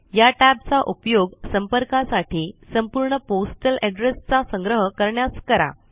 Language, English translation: Marathi, Use this tab to store the complete postal address for the contact